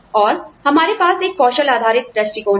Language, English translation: Hindi, And, we have a skill based approach